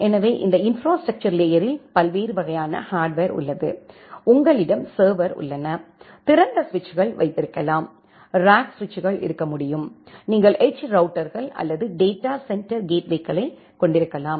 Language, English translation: Tamil, So, this infrastructure layer have different kind of hardwares like, you have the servers, you can have the open switches, you can have the top of rack switches, you can have edge routers or datacenter gateways